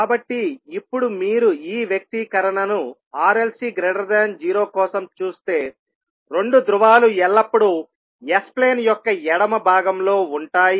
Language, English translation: Telugu, So now if you see this particular expression for r l and c greater than zero two poles will always lie in the left half of s plain